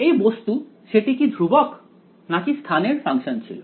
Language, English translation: Bengali, This guy was what was it constant or a function of space